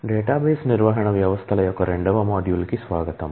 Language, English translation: Telugu, Welcome to module two of database management systems